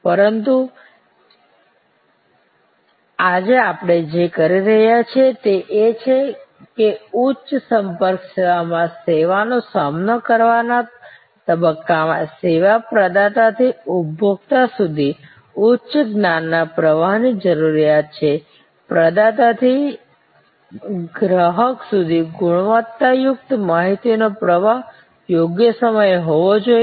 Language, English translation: Gujarati, But, what we are saying today is that in the service encountered stage in the high contact service, there is a higher level of need for knowledge flow from the service provider to the service consumer, quality information flow from the provider to the consumer and it has to be at right points of time